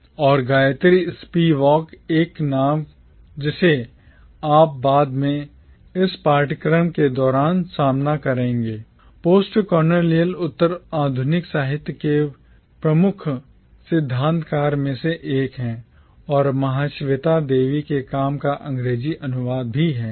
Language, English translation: Hindi, And Gayatri Spivak, a name that you will later encounter during this course, is one of the major theorist of postcolonial literature and also the English translator of Mahasweta Devi’s work